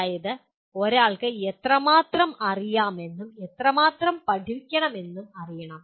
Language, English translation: Malayalam, That is, one should know how much he knew and how much he has to learn